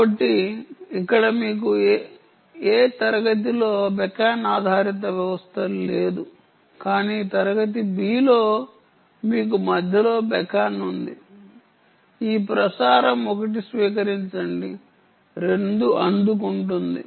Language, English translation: Telugu, ok, so here you dont have a beacon based system in class a, but in class b you have a beacon, beacon to beacon in between, is this: transmit, receive one, receive two